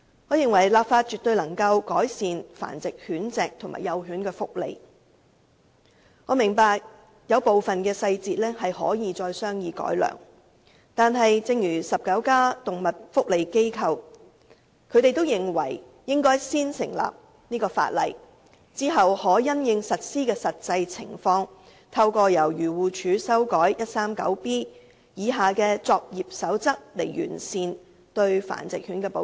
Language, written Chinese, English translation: Cantonese, 我認為立法絕對能夠改善繁殖狗隻及幼犬的福利，我明白《修訂規例》有部分細節可以再行商議並改良，但19家動物福利機構都認為，應該先訂立法例，然後再因應實施的實際情況，透過由漁護署修訂第 139B 章下的作業守則來完善對繁殖狗隻的保障。, In my opinion the enactment of law can definitely improve the welfare of dogs kept for breeding as well as the welfare of puppies . I understand that certain parts of the legislation may warrant further discussion and refinement but 19 animal welfare organizations have agreed to enact the law as the first step to be followed by an amendment of the code of practice under Cap . 139B by AFCD in the light of the actual implementation of the law so as to further enhance the protection of dogs kept for breeding